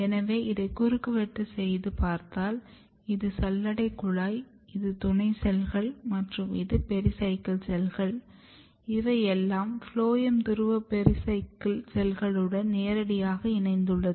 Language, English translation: Tamil, So, if you make a cross section here you can see that these are the sieve elements, these are the companion cell and these are the pericycle cells, which is directly attached with the phloem pole pericycle cells it is called